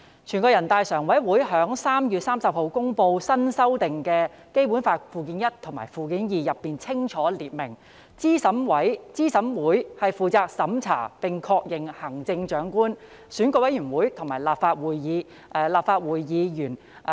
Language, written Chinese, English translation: Cantonese, 全國人大常委會在3月30日公布新修訂的《基本法》附件一及附件二，當中清楚列明候選人資格審查委員會負責審查並確認行政長官、選舉委員會及立法會議員候選人的資格。, On 30 March the Standing Committee of NPC announced the amended Annex I and Annex II to the Basic Law which clearly provide that the Candidate Eligibility Review Committee CERC shall be responsible for reviewing and confirming the eligibility of candidates for the office of Chief Executive for Election Committee EC members and for Members of the Legislative Council